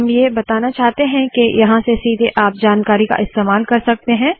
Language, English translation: Hindi, What I want to show here is that you can use the information from here directly